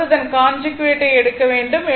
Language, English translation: Tamil, Actually we take the conjugate